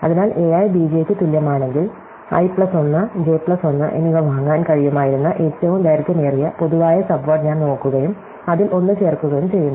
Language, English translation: Malayalam, So, if a i is equal to b j, I look at the longest common subword I could have bought i plus 1 and j plus 1 and add 1 to it